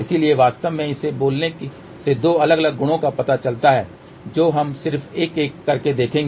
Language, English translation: Hindi, So, actually speaking it leads to two different properties we will just see one by one